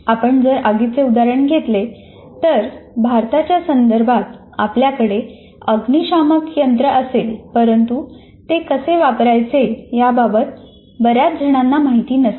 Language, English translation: Marathi, For example, if you take the fire, in many of the Indian contexts, while we may have fire extinguishers and so on, and I don't think many of the people do get trained with respect to that